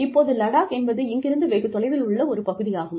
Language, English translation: Tamil, Now, Ladakh is a far flung area